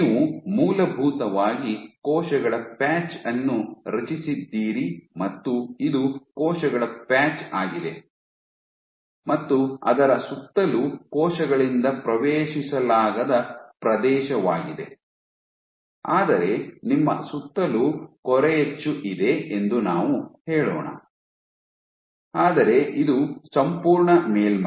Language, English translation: Kannada, So, what you essentially have is you have created a patch of cells this is a patch of cells and around it is area which is not accessible by the cells, but let us say you have the stencil around it, but, this is the entire surface